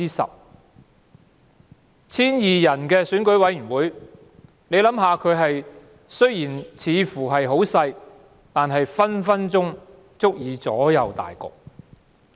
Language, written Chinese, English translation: Cantonese, 雖然在 1,200 人的選委會的規模似乎很小，但隨時足以左右大局。, Despite their seemingly small number in EC with a membership of 1 200 people they can always influence the result